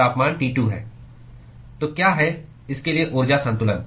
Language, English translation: Hindi, So, what is the energy balance for this